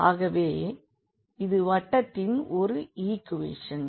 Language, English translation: Tamil, So, this is a equation of the circle